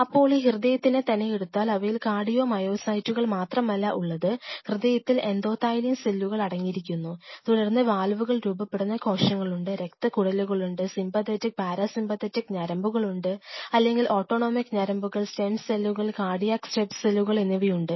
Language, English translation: Malayalam, Now, this heart which is here, it is surrounded by not only heart has only cardio myocytes, the heart consists of endothelial cells then there are cells which are forming the valves, there are blood vessels, there are sympathetic and parasympathetic nerves or rather autonomic nerves, there are stem cells cardiac step cells which are present there